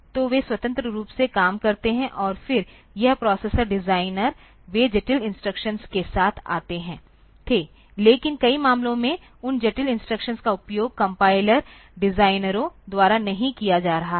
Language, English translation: Hindi, So, they used to work independently, and then this processor designers they used to come up with complex instructions, but in more many cases those complex instructions are not being used by the compiler designers